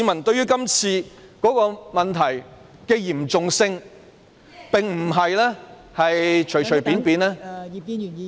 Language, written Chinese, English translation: Cantonese, 對於今次問題的嚴重性，市民並不是隨隨便便......, In view of the severity of the problem it is not the case that the public have casually